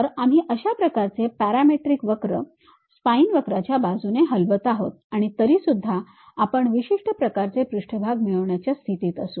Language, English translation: Marathi, So, we are moving such kind of parametric curve along a spine curve then also we will be in a position to get a particular kind of surface